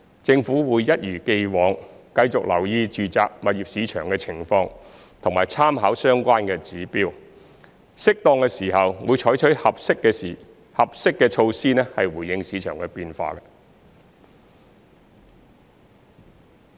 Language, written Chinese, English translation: Cantonese, 政府會一如既往，繼續留意住宅物業市場的情況和參考相關指標，適當的時候會採取合適的措施回應市場變化。, As in the past the Government will continue to monitor the situation in the residential property market and draw reference from relevant indicators . It will take proper measures to respond to changes in the market when appropriate